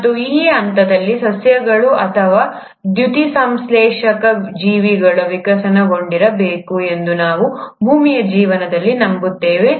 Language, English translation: Kannada, And it's at this stage, we believe in earth’s life that the plants or the photosynthetic organisms must have evolved